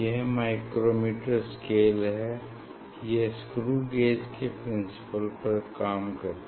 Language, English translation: Hindi, this is the micrometers scale it is a screw gauge principle